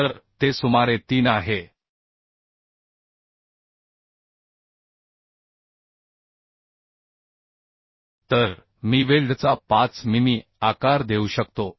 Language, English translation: Marathi, So it is around 3 so I can provide say 5 mm size of the weld right